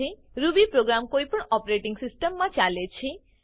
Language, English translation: Gujarati, Ruby program runs in any operating system